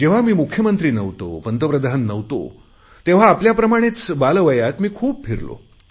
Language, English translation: Marathi, When I was neither Chief Minister nor Prime Minster, and I was young like you, I travelled a lot